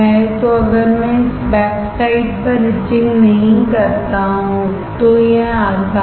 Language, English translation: Hindi, So, if I do not do this backside etching then it is easy